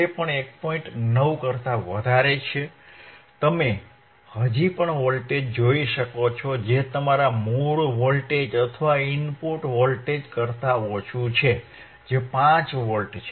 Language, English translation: Gujarati, 9, you can still see voltage which is less than your original voltage or input signal which is 5 Volt